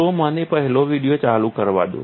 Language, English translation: Gujarati, So, let me play the first video